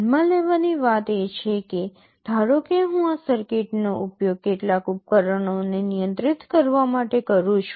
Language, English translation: Gujarati, The point to note is that, suppose I use this circuit to control some device